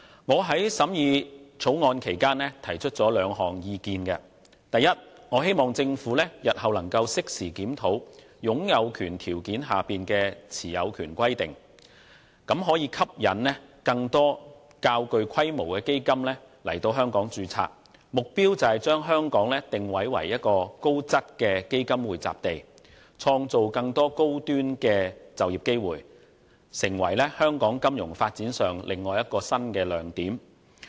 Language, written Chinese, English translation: Cantonese, 我在審議《條例草案》期間提出了兩項意見：第一，我希望政府日後能適時檢討擁有權條件下的持有權規定，以期吸引更多較具規模的基金來香港註冊，目標是將香港定位為高質的基金匯集地，創造更多高端的就業機會，從而成為香港金融發展上另一個新亮點。, During the scrutiny of the Bill I have put forward two points of view First I hope that the Government can review the ownership requirement under the NCH condition at regular intervals in future with a view to attracting more funds of a reasonably large scale to domicile in Hong Kong . The objective is to position Hong Kong as a premium location for fund domiciliation and create more high - end employment opportunities which will become another new bright spot in Hong Kongs financial development